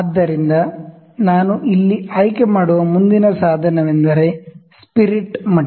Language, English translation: Kannada, So, next instrument I will pick here is spirit level